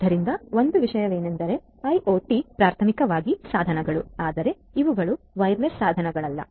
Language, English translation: Kannada, So, one thing is that IoT devices are primarily, but not necessarily wireless devices right